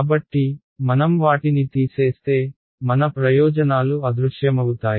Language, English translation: Telugu, So, if I subtract them the advantages what vanishes